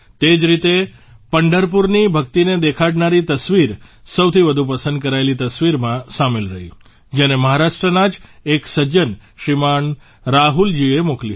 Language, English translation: Gujarati, Similarly, a photo showing the devotion of Pandharpur was included in the most liked photo, which was sent by a gentleman from Maharashtra, Shriman Rahul ji